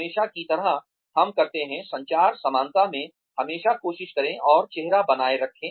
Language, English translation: Hindi, Always, like we say, in communication parlance always, try and maintain face